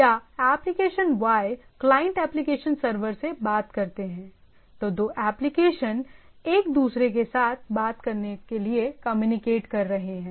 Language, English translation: Hindi, Or application Y client while talks to the application server right, two applications are talking to communicating with each other